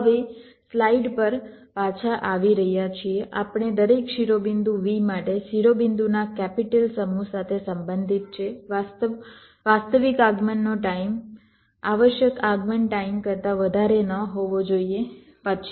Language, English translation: Gujarati, so, coming back to the slide, so we, for every vertex v belonging to capital set of vertices, the requirement is the actual arrival time should not be grater then the required arrival time